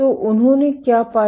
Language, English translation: Hindi, So, what they found